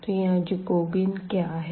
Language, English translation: Hindi, So, what is this Jacobian here